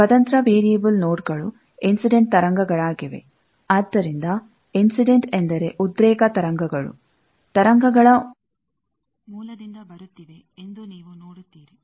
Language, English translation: Kannada, Independent variable nodes are the incident waves; so, you see that, which are incident that means, the excitation waves are coming from the source of the waves